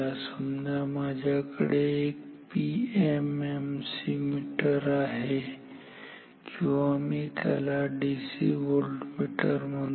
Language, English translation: Marathi, Suppose I have we have a PM MC meter or say let me call it a DC voltmeter so, calibrated that